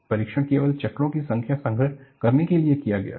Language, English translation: Hindi, The test was performed only to record the number of cycles